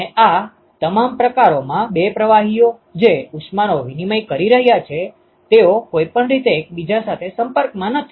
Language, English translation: Gujarati, And in all these types the two fluids, which is exchanging heat they are not in contact with each other anyway right